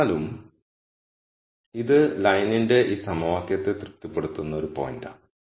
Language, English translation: Malayalam, However, this is a point which would satisfy this equation of the line